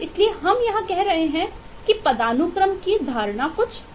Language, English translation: Hindi, so we are saying here that comp, eh, notion of hierarchy is little bit different